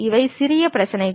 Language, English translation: Tamil, These are the minor issues